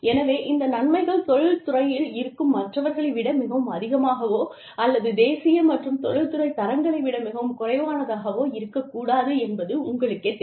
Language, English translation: Tamil, So, you know, benefits should not be, very much higher than the industry, should not be very much, lower than the national and industry standards